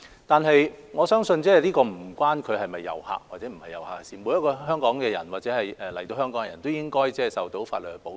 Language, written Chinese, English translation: Cantonese, 不過，我相信這與他是否遊客無關，每個香港人或來港的人士都應該受到法律保障。, Yet I believe it has nothing to do with whether the person is a tourist or not . Each and every one of the people of Hong Kong and those visitors to Hong Kong should be protected by the law